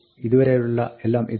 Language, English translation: Malayalam, This is everything up to here